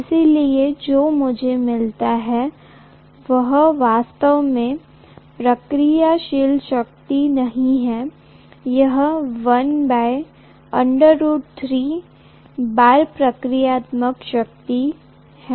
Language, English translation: Hindi, So what I get is not really the reactive power, it is 1 by root 3 times the reactive power